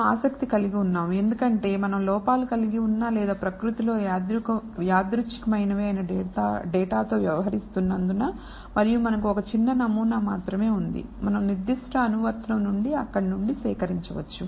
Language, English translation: Telugu, Also we are interested since we are dealing with data that that has ran errors or stochastic in nature and we only have a small sample that, we can gather from there from the particular application